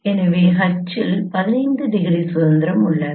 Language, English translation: Tamil, So there are 15 degree of freedom of H is 15